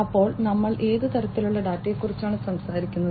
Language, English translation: Malayalam, So, what kind of data we are talking about